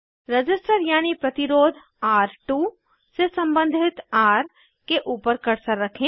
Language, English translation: Hindi, Keep cursor over R, corresponding to R2 resistor